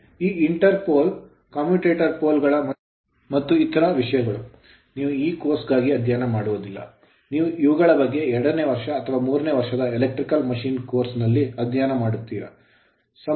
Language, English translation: Kannada, This inter pole you are what you call about this commutating poles other things you will not study for this course you will study in your second year or third year electrical machine course